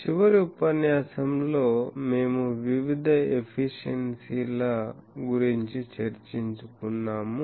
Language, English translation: Telugu, In the last lecture we were discussing about the various efficiencies